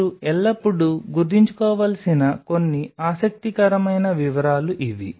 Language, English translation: Telugu, So, these are some of the interesting details which you always have to keep in mind